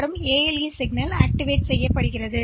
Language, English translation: Tamil, And this content of A, ALE signal is activated